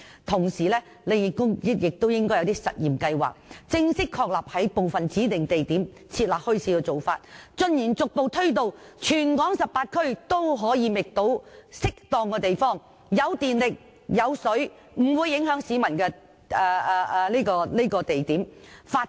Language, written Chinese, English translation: Cantonese, 同時，政府應推出一些試驗計劃，正式確立在部分指定地點設立墟市，逐步推展至全港18區，以至各區均可覓得既有電力和水供應，又不會影響市民的適當地點發展墟市，推廣......, At the same time the Government should introduce trial schemes to formalize the establishment of bazaars at some designated sites and gradually extend them to all of the 18 districts across the territory so that each district can identify appropriate sites with electricity and water supply and will not affect other people to develop bazaars and promote the culture of Hong Kong